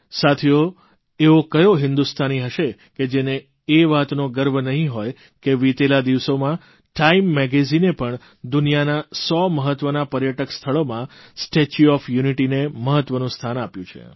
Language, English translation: Gujarati, Friends, which Indian will not be imbued with pride for the fact that recently, Time magazine has included the 'Statue of Unity'in its list of 100 important tourist destinations around the world